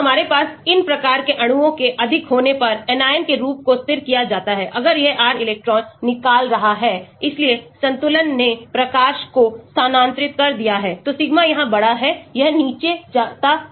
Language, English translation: Hindi, So, we will have more of these type of molecules , anion form is stabilized, if this R is electron withdrawing therefore, the equilibrium shifted the light , so Sigma is larger here it goes down